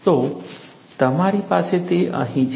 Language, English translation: Gujarati, So, you have it here